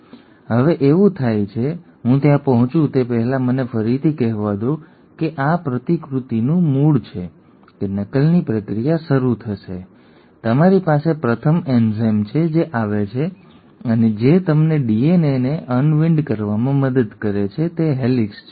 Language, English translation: Gujarati, Now that happens because, so let me before I get there let me again tell you the there is origin of replication that the process of replication will start; you have the first enzyme which comes in and which helps you in unwinding the DNA which is the helicase